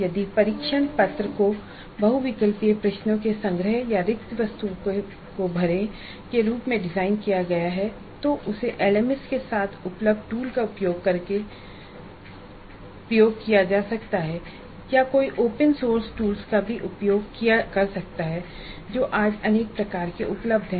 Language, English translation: Hindi, If the test paper is designed as a collection of multiple choice questions or multiple select questions or fill in the blank items, then that can be administered using a tool available with LMS or one could also use open source tools which are also available today in fair variety